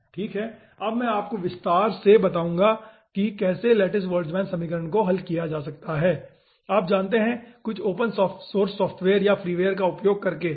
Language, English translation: Hindi, okay, i will be showing you in detail that how lattice boltzmann equation can be solved using, you know, some open source software or freeware